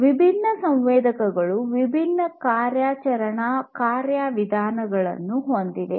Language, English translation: Kannada, These sensors have their own different ways of operating